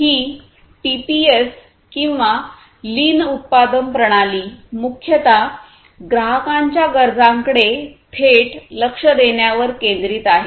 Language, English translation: Marathi, So, this TPS or this lean production system it mainly focuses on addressing the customer’s needs directly